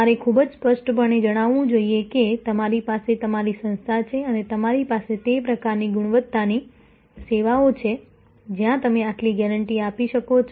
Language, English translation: Gujarati, You must be very clear that you have the necessary where with us your organization and you services of that kind of quality, where you can give this short of guarantee